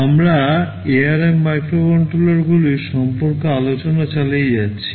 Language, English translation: Bengali, We continue the discussion on ARM microcontrollers